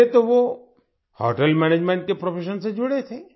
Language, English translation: Hindi, Earlier he was associated with the profession of Hotel Management